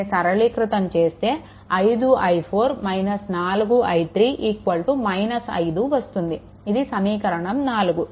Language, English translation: Telugu, So, this is 5 i 4 minus 4 i 3 is equal to; so, equation 4